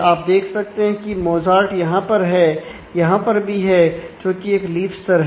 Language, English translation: Hindi, So, you can see that Mozart happened here, it also happened here and this is the leaf level